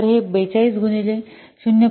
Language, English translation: Marathi, So, this will be 42 into 0